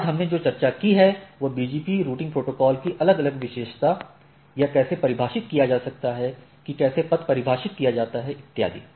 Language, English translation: Hindi, So, what we see in try to what we discussed today is that, different feature of BGP routing protocols, how it can be defined how path is defined and so and so forth